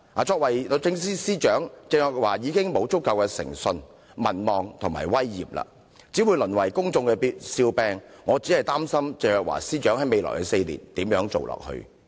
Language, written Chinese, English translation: Cantonese, 作為律政司司長，鄭若驊已沒有足夠的誠信、民望及威嚴，只會淪為公眾笑柄，我擔心鄭若驊司長如何在未來4年繼續履行其職務。, Teresa CHENG lacks the integrity popularity and dignity to be the Secretary for Justice and she will only become the laughing stock of the people . I am worried how Ms CHENG is going to perform her duties in the coming four years